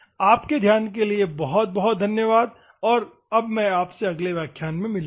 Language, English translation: Hindi, Thank you for your kind attention and I will see you in the next class